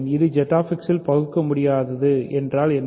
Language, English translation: Tamil, It is irreducible in ZX means what